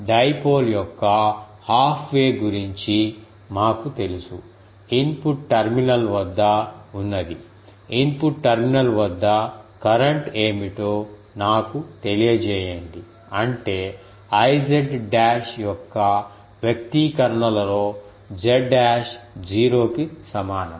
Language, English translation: Telugu, We know for the half way of dipole, ah what is the at the input terminal let me at the input terminal what was the current so; that means, we will have to put z dash is equal to 0 in either of the expressions of I z dash